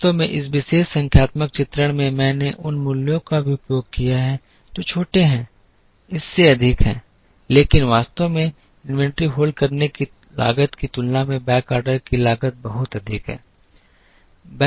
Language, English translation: Hindi, In fact in this particular numerical illustration I have even used values that are smaller than this, but in reality cost of backorder is much higher than cost of holding inventory